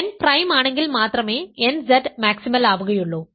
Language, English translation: Malayalam, So, nZ is maximal if and only if n is prime